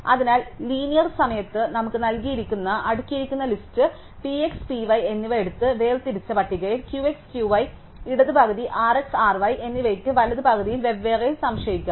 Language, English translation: Malayalam, So, in linear time we can take the given sorted list P x and P y and separate it out into sorted list Q x, Q y for the left half R x, R y for the right half